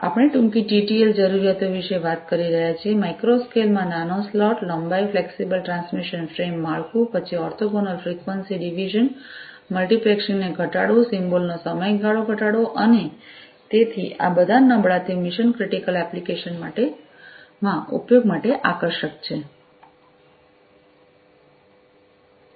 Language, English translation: Gujarati, So, we are talking about shorter TTL requirements, you know, smaller slot lengths in micro scale, flexible transmission frame structure, then reducing the orthogonal frequency division multiplexing symbols, reducing symbol duration and so on so all of these weak it attractive for use in mission critical applications